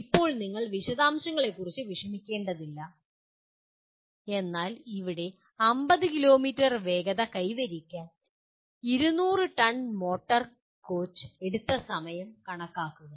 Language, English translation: Malayalam, Now if you look at, let us not worry about the detail, but here calculate time taken by 200 ton motor coach to attain the speed of 50 km